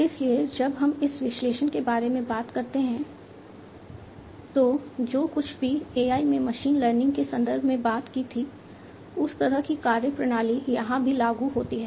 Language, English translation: Hindi, So, when we talk about this analysis whatever we talked in the context of machine learning in AI those kind of methodologies are also applicable over here